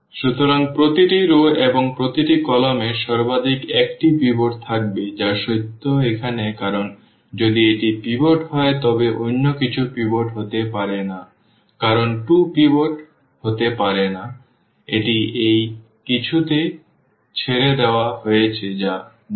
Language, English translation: Bengali, So, each row and each column will have at most one pivot that is also true this is the fact here because if this is the pivot then nothing else can be the pivot because 2 cannot be pivot it is left to this something nonzero is sitting